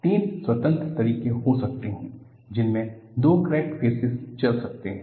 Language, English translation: Hindi, There could be three independent ways in which the two crack surfaces can move